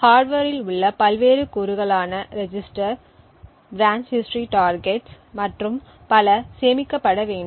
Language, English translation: Tamil, The various components within the hardware such as register, branch history targets and so on would require to be saved